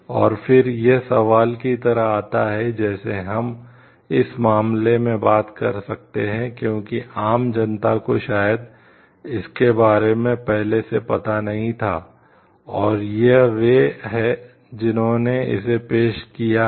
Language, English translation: Hindi, And then, it comes to like question is like we can talk of like in this case, because the general public did not know maybe about it at first and, it is they who have introduced it